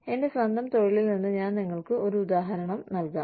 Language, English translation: Malayalam, I will give you an example, from my own profession